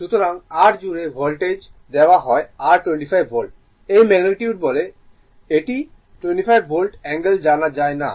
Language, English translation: Bengali, So, across R the Voltage is given your 25 Volt, this is magnitude say it is 25 Volt angles are not known